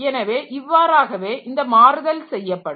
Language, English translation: Tamil, So, that is how this translation will be done